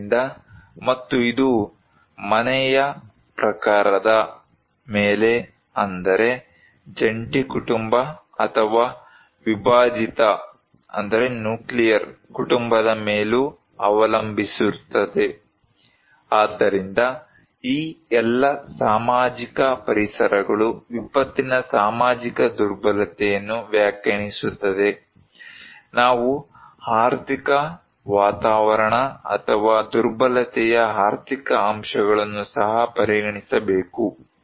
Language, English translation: Kannada, So and also it depends on household type, is on joint family or nuclear family, so these all social environments that define the social vulnerability of a disaster, we have to also consider the economic environment or economic factors of vulnerability